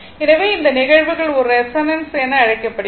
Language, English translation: Tamil, So, this phenomena is known as a resonance